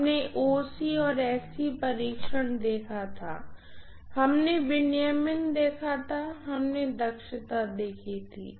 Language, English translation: Hindi, We had seen OC and SC test, we had seen regulation, we had seen efficiency